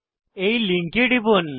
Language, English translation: Bengali, Click on the link